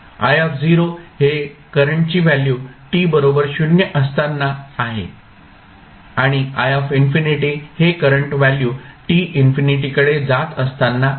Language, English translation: Marathi, I naught is the value of current at t is equal to 0 and I infinity is the current at time t that is tends to infinity